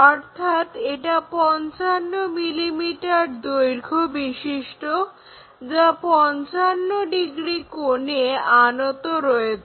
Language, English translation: Bengali, And, that is 55 degrees with a length of 55 mm